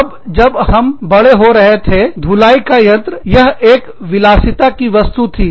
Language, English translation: Hindi, Now, washing machine, when we were growing up, it was a luxury